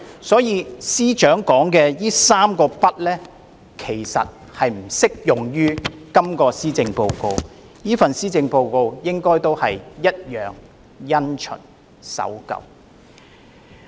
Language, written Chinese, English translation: Cantonese, 所以，司長所說的"三個不"並不適用於這份施政報告。這份施政報告同樣因循及守舊。, I therefore do not think the Three Uns as depicted by the Chief Secretary applies to this Policy Address which is also traditional and conventional